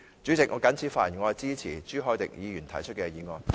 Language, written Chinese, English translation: Cantonese, 主席，我謹此陳辭，支持朱凱廸議員提出的議案。, With these remarks President I support the motion moved by Mr CHU Hoi - dick